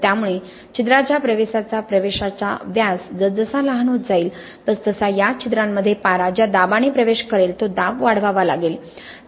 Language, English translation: Marathi, So as the pore entry diameter become smaller and smaller you need to increase the pressure at which mercury will intrude these pores, okay